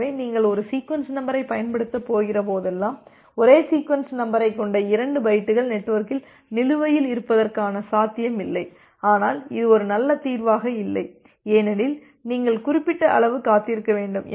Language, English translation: Tamil, So, whenever you are going to use a sequence number there is no possibility that there are two bytes with the same sequence numbers are outstanding in the network, but this is not a good solution because you have to wait for certain amount of duration